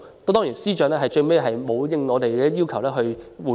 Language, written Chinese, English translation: Cantonese, 當然，司長沒有就我們的要求作出回應。, Of course the Financial Secretary has not responded to our request